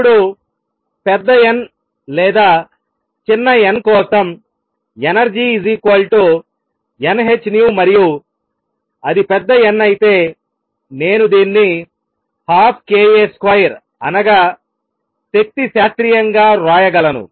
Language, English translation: Telugu, Now for large n for large n or small n the energy is n h nu and if it is large n, I can write this as 1 half k A square that is energy classically